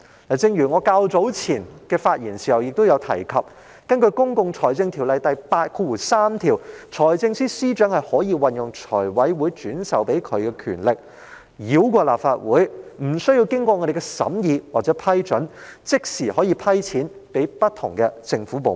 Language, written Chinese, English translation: Cantonese, 例如我較早前發言時曾提及，根據《公共財政條例》第83條，財政司司長可運用財務委員會轉授的權力，繞過立法會，無需經議員審議或批准而即時撥款予不同的政府部門。, For example as I have mentioned in my speech delivered earlier under section 83 of the Public Finance Ordinance the Financial Secretary may exercise the power delegated by the Finance Committee to bypass the Legislative Council and immediately allocate funding to different government departments without deliberation or approval by Members